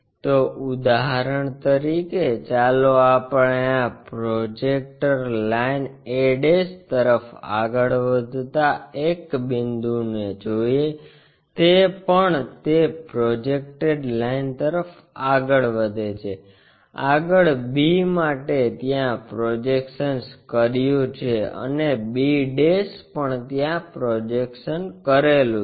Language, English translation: Gujarati, So, for example, let us look at a point goes on to this projector line a' also goes on to that projected line, next b one projected to that and b' also projected to there